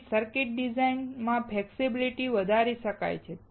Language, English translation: Gujarati, Flexibility in circuit design hence can be increased